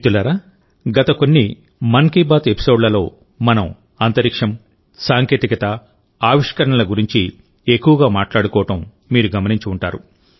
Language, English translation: Telugu, Friends, you must have noticed that in the last few episodes of 'Mann Ki Baat', we discussed a lot on Space, Tech, Innovation